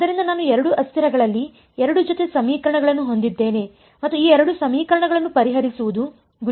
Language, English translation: Kannada, So, I have 2 sets of equations in 2 variables and the goal is to solve these 2 equations